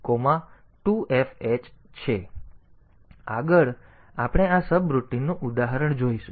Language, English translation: Gujarati, So, next we will see an example of this subroutine